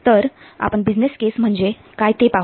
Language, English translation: Marathi, So let's see first what a business case is